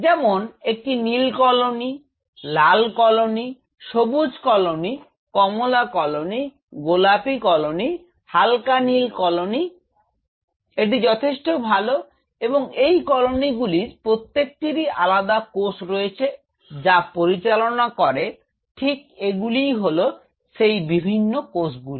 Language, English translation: Bengali, As such say a blue colony, red colony, green colony, ta green colony, orange colony, pink colony, fade blue colony this is good enough, and each one of these colonies I have different you know cells which governs them right these are the different cells